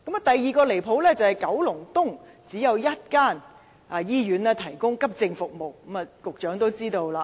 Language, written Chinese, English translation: Cantonese, 第二個離譜之處，便是九龍東只有一間醫院提供急症服務。, The second outrageous point is there is only one hospital providing AE services in Kowloon East